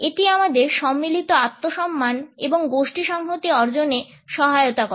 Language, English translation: Bengali, It also helps us to achieve collective self esteem and group solidarity